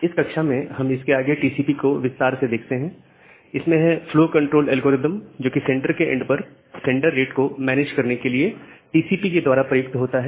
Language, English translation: Hindi, Now in this particular class, we look into the further details of TCP, the flow control algorithm, which is used by TCP to manage the rates of sender rates at sender side